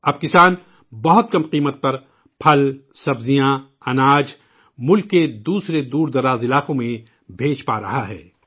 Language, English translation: Urdu, Now the farmers are able to send fruits, vegetables, grains to other remote parts of the country at a very low cost